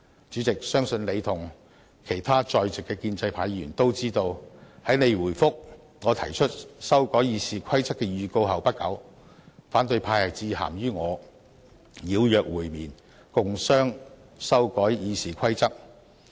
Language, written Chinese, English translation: Cantonese, 主席，相信你和其他在席的建制派議員都知道，在你回覆我提出修改《議事規則》的預告後不久，反對派致函予我邀約會面，共商修改《議事規則》。, President I believe you and other pro - establishment Members present are aware that soon after you replied to my notice on amending RoP opposition Members wrote to invite me to meet with them and discuss the proposals on amending RoP